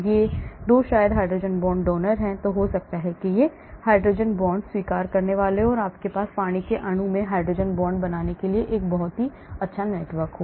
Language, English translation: Hindi, these 2 maybe hydrogen bond donors, this maybe hydrogen bond acceptors and you can have a very network of hydrogen bond formation in water molecule